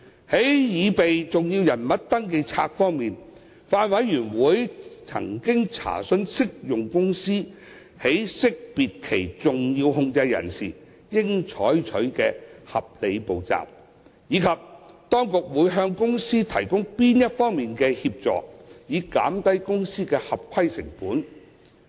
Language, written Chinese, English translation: Cantonese, 在擬備登記冊方面，法案委員會曾詢問適用公司在識別其重要控制人時應採取的合理步驟，以及當局會向公司提供哪方面的協助，以減低公司的合規成本。, In respect of the preparation of a SCR the Bills Committee has enquired about the reasonable steps to be taken by applicable companies in identifying their significant controllers and assistance provided to companies in minimizing their compliance costs